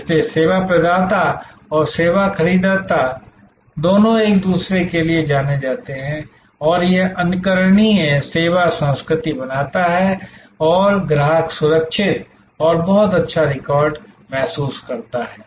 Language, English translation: Hindi, So, both service providers and service procurers are known to each other and that creates an exemplary service culture and the clients feels safe and very good record